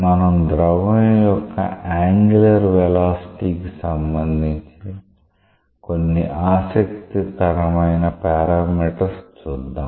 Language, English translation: Telugu, We will see that there are interesting quantities or parameters which are related to the angular velocity of the fluid